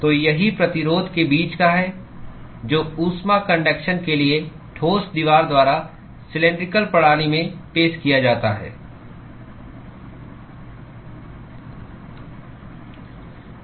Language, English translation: Hindi, So, that is the resistance between the that is offered by the solid wall for heat conduction in the cylindrical system